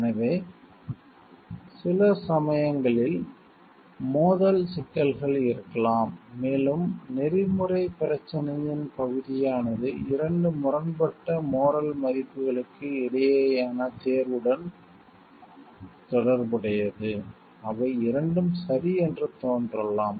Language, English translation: Tamil, So, sometimes it may so happen there are conflict problems, and area of ethical problem relates to a choice between 2 conflicting moral values which both of them may seem to correct